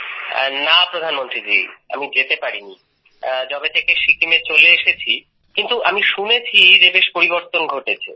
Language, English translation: Bengali, Ji Prime Minister ji, I have not been able to visit since I have come back to Sikkim, but I have heard that a lot has changed